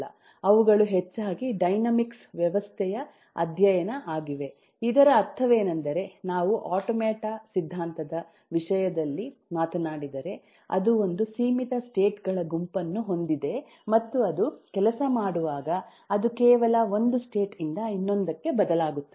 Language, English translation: Kannada, what it simply means that, if we talk in terms of automata theory, it has caught a finite set of states and when it works it simply changes from one state to the other